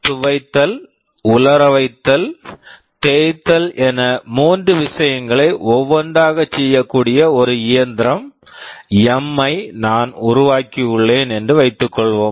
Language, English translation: Tamil, Suppose I have built a machine M that can do three things one by one, wash, dry and iron